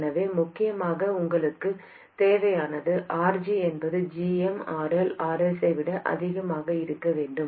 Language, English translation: Tamil, So essentially what you need is for RG to be much greater than GMRL RS